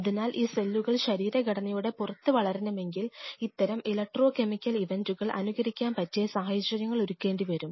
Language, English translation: Malayalam, So, for these cells if they have to grow outside, and they should be in a position which should be able to mimic these electromechanical events in a dish